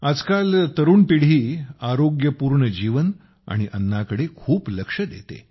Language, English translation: Marathi, Nowadays, the young generation is much focused on Healthy Living and Eating